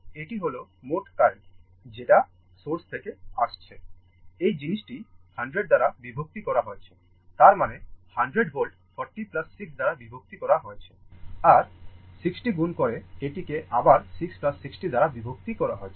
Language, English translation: Bengali, This is the total current coming from the source; this i this 100 divided by this thing; that means, 100 volt divided by 40 plus 6 into 60 divided by 6 plus 60